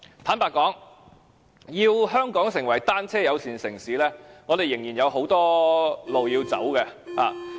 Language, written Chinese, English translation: Cantonese, 坦白說，要香港成為單車友善城市，我們仍然有很多路要走。, Frankly to become a bicycle - friendly city Hong Kong has a long way to go